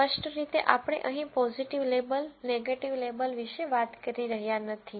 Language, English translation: Gujarati, Clearly, we are not talking about a positive label, a negative label here